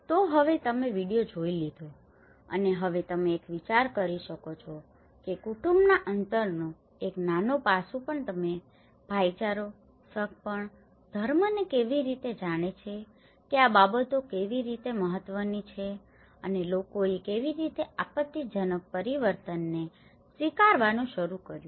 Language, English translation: Gujarati, So now, you have seen the video and you now can get an idea of how even a small aspect of family distance you know brotherhood, kinship, religion how these things matter and how people started adapting to the change, a cataclysmic change